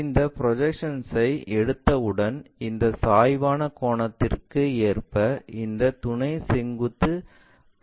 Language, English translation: Tamil, Once we take these projections we flip this auxiliary vertical plane in line with this inclination angle